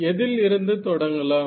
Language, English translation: Tamil, So, what did we start with